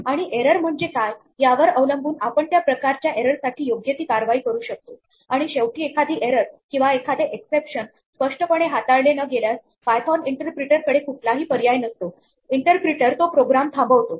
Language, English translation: Marathi, And depending on what the error is, we might take appropriate action for that type of error and finally, if we do get an error or an exception which we have not explicitly handled then the python interpreter has no option, but to abort the program